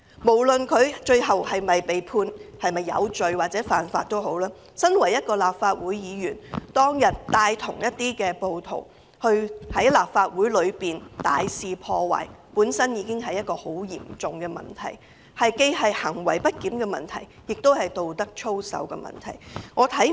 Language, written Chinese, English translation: Cantonese, 無論他最後是否被判有罪，他身為立法會議員，當天帶同暴徒在大樓內大肆破壞，已是十分嚴重的問題，這既是行為不檢的問題，亦是道德操守的問題。, No matter whether he will be convicted of the offence or not at the end it is already a very serious issue that he as a Member of the Legislative Council brought in rioters to wreak havoc on the Legislative Council Complex on that day . It is not only an issue of misbehaviour but also an issue of ethics